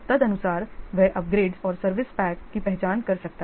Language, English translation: Hindi, Accordingly, he can identify the upgrades and this service packs